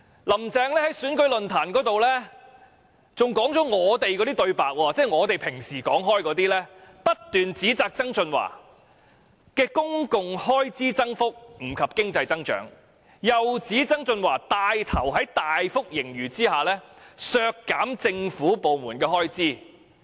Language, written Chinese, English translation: Cantonese, "林鄭"更在選舉論壇上說出了我們的對白，以我們平常所說的話，不斷指責曾俊華提出的公共開支增幅不及經濟增長，又指他帶頭在大幅盈餘下削減政府部門的開支。, In various election forums Carrie LAM even picked up our usual comments on John TSANG repeatedly criticizing that the public expenditure increases he had put forward all lagged behind the rates of economic growth and that he still took the lead to cut the expenditure of government departments when there were huge fiscal surpluses